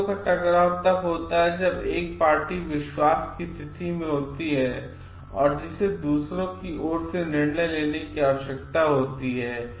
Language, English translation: Hindi, A conflict of interest occurs when the party is in a position of trust that requires exercise of judgement on behalf of others